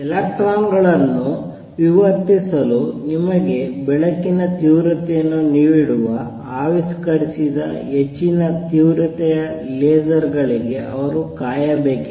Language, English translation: Kannada, They had to wait till very high intensity lasers who were invented that give you intensity of light to diffract electrons